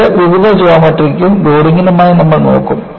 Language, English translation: Malayalam, This, we will look at, for Various Geometries and Loading